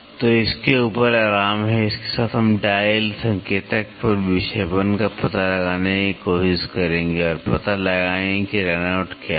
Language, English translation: Hindi, So, this is the resting on top of it with this we will try to find out the deflection on the dial indicator and find out what is the run out